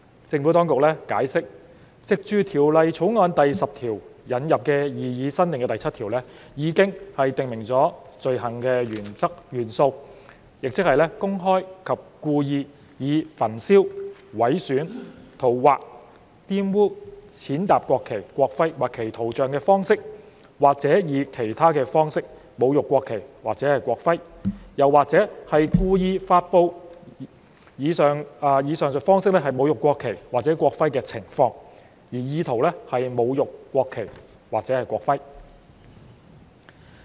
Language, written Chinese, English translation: Cantonese, 政府當局解釋，藉《條例草案》第10條引入的擬議新訂第7條，已訂明罪行的元素，即是公開及故意以焚燒、毀損、塗劃、玷污、踐踏國旗、國徽或其圖像的方式，或以其他方式，侮辱國旗或國徽，或故意發布以上述方式侮辱國旗或國徽的情況，而意圖是侮辱國旗或國徽。, As explained by the Administration the elements of the offences are provided under the proposed new section 7 as introduced in clause 10 of the Bill ie . to publicly and intentionally desecrate the national flag or national emblem by burning mutilating scrawling on defiling or trampling on it or its image or in any other way or to intentionally publish such a desecration with intent to desecrate the national flag or national emblem